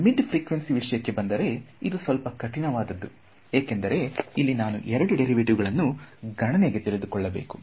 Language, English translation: Kannada, Mid frequency is the most difficult situation to handle because I have to take care of both these derivatives ok